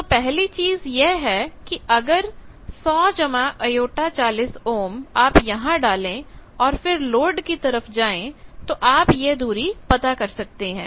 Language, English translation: Hindi, So, first thing is this 100 plus j 40 you put then move towards load that distance and then you can locate